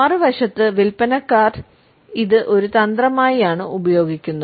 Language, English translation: Malayalam, On the other hand, we find that salespeople have started to use it as a strategy